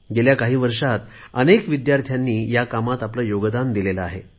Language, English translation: Marathi, For the past many years, several students have made their contributions to this project